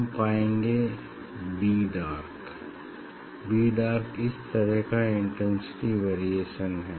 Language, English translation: Hindi, we will get b dark, b dark this kind of variation of intensity